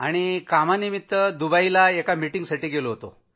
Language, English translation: Marathi, I had gone to Dubai for work; for meetings